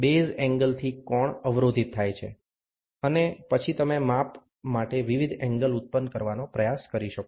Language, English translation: Gujarati, The angle the block from the base angle, and then you can try to generate different angles for measurement